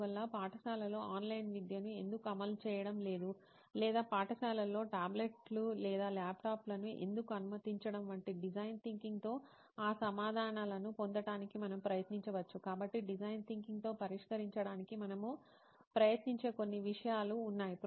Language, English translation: Telugu, So we are like we can try to get those answers with design thinking like why schools are not implementing online education or why they are not allowing tablets or laptops in the schools, so there are few things which we can try to solve with design thinking